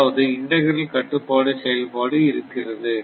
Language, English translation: Tamil, So, that means, integral control is this